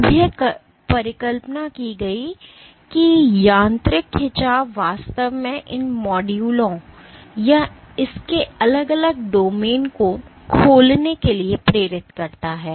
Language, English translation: Hindi, Now it is hypothesized that mechanical stretch actually induces unfolding of these modules or individual domains of it